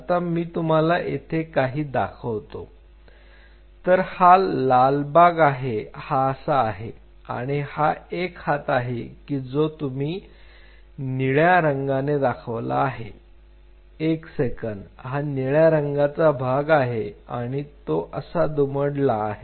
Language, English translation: Marathi, Now, let me just show you out here, let me this is the red part like this and this, this part on the arm this is what you see this is the blue shaded region one second, this is the blue shaded region and it folds like this